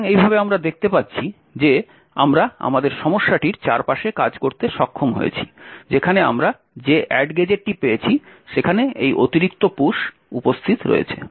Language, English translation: Bengali, So in this way we see that we have been able to work around our issue where there is this additional push present in the add gadget that we have found